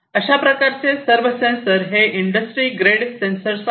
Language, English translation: Marathi, So, these are all industry grade sensors